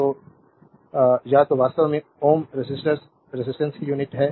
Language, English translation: Hindi, So, either actually ohm is the unit of resistor resistance